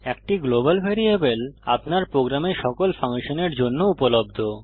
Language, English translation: Bengali, A global variable is available to all functions in your program